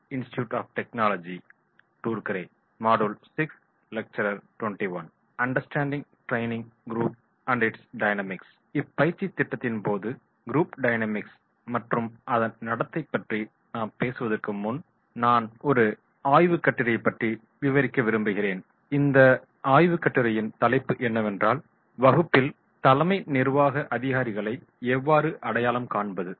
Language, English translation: Tamil, Before I talk about Group dynamics and their behaviour during the training program, what I would like to narrate one research paper and in this research paper the title was “How to identify CEOs in the class”